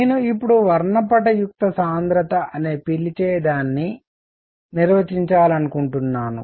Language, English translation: Telugu, What I want to define now is something called spectral density